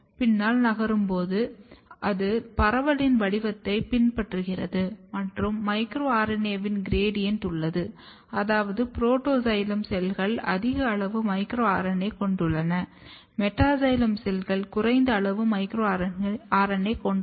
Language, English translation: Tamil, And while moving back, it follows the pattern of diffusion and there is a gradient of micro RNA, which means that the cells, protoxylem cells has high amount of micro RNA, meta xylem cells has low amount of micro RNA